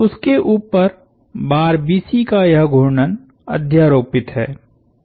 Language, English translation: Hindi, Superimposed on top of that is this rotation of the bar BC